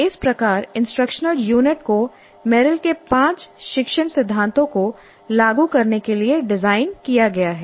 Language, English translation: Hindi, So, this is how the instructional unit is designed implementing the five learning principles of Merrill